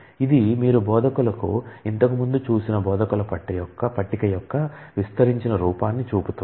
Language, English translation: Telugu, It shows the instructors expanded form of the instructor table you saw earlier